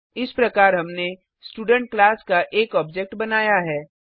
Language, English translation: Hindi, Thus we have created an object of the Student class